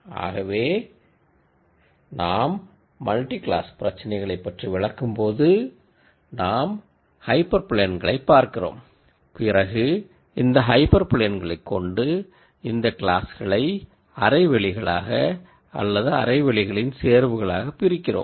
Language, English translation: Tamil, So, when we describe multi class problems we look at more hyper planes and then depending on how we derive these hyper planes we could have these classes being separated in terms of half spaces or a combination of half spaces